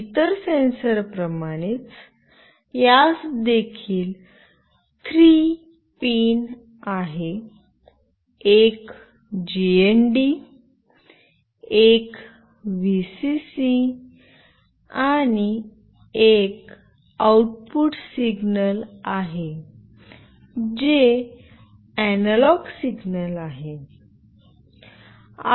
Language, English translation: Marathi, Similar to other sensors, this also has got 3 pins, one is GND, next one is Vcc, and the next one is the output signal that is an analog signal